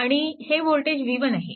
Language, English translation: Marathi, Right and this voltage is v 1 means